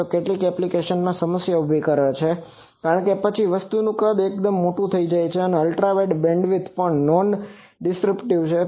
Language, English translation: Gujarati, So, in some applications it creates problem, because then the size of the thing becomes quite large, also it is also non dispersive it is Ultra wideband